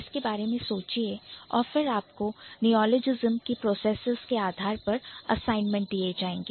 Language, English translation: Hindi, So, think about it and then you might get assignments to do on the basis of such processes of neologism